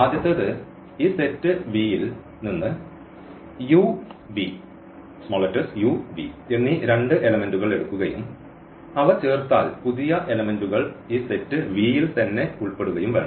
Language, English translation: Malayalam, The first one is that if we take two elements u and v from this set V and if we add them the new elements should also belong to this set V